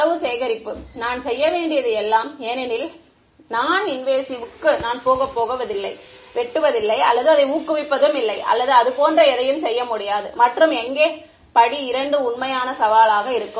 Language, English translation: Tamil, Data collection is all I need to do because its non invasive I am not going and cutting or prodding or anything like that and step 2 is where the real challenge is, right